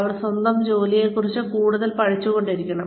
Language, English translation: Malayalam, They have to keep learning, more and more, about their own work